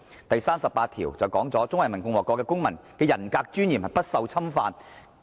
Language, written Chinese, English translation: Cantonese, "；第三十八條則訂明："中華人民共和國公民的人格尊嚴不受侵犯。, Article 38 stipulates that The personal dignity of citizens of the Peoples Republic of China is inviolable